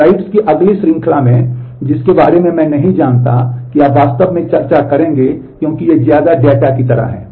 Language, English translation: Hindi, In the next series of slides, which I will not you know discuss really because the these are more like data